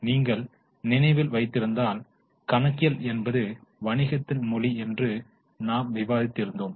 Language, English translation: Tamil, If you remember, we discuss that accounting is a language of business